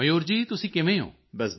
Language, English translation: Punjabi, Mayur ji how are you